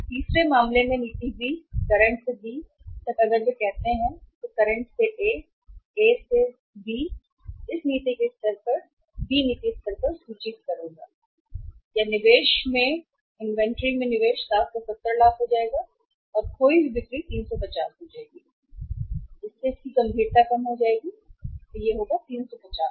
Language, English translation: Hindi, Then in the third case, policy B that from the current to B if they go from say current to A, A to B so at this policy level at the B policy level the inventory level will be or the investment in the inventory will become 770 lakhs and lost sales will be 350, will seriously come down, 350 lakhs